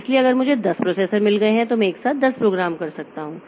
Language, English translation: Hindi, So, if I have got say 10 processors I can do 10 programs simultaneously